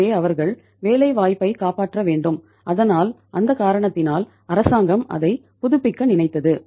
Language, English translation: Tamil, So they have to save the employment so because of that reason then government thought of reviving it